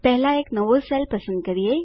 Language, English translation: Gujarati, First let us select a new cell